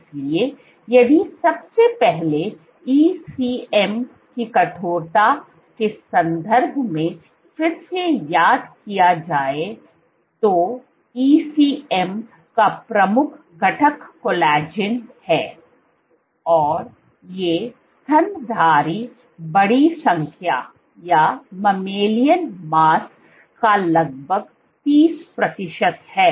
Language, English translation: Hindi, So, if first of all again just to recall in terms of ECM stiffness, the major constituent of ECM is collagen, and these account for roughly 30 percent of mammalian mass